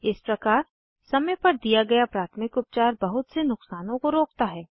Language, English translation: Hindi, In this way, first aid given in time prevent many damages